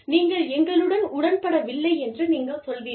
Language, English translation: Tamil, And, you will say, okay, you do not agree with us